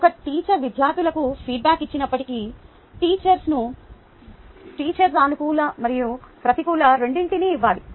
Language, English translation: Telugu, even when a teacher gives feedback to the students, the teacher should give you a, both positive and negative